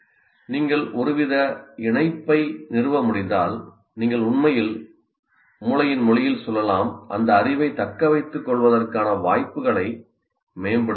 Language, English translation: Tamil, If you are able to establish some kind of a link, then you are actually really, you can say in the language of the brain that you are improving the chances of retention of that knowledge